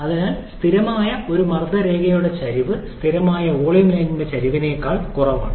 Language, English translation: Malayalam, Therefore, the slope of a constant pressure line is less than the slope of a constant volume line